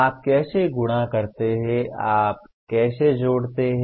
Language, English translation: Hindi, How do you multiply, how do you add